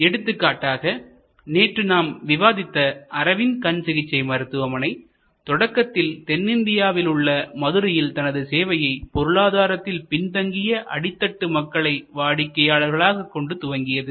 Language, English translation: Tamil, Like we discussed yesterday, Arvind Eye Care Hospital started as an eye care facility in southern India for in Madurai for consumers at the bottom of the economic pyramid, economically deprived consumers